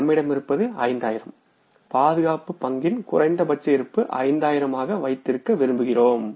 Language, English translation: Tamil, We want to keep as a safety stock minimum balance of the cash as 5,000